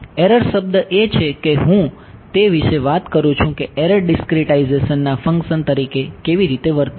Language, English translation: Gujarati, The error term is what I am talking about how does the error behave as a function of the discretization